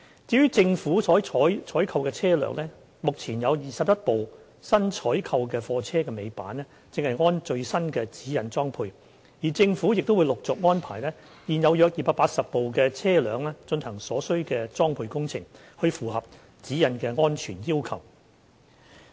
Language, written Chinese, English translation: Cantonese, 至於政府所採購的車輛，目前有21輛新採購貨車的尾板正按最新的《指引》裝配，而政府亦會陸續安排現有約280部車輛進行所需裝配工程，以符合《指引》的安全要求。, For the goods vehicles owned by the Government newly - purchased goods vehicles with tail lifts are fitted with safety devices in accordance with GN . Arrangement is also being made to retrofit about 280 existing government goods vehicles to meet the safety requirements in accordance with GN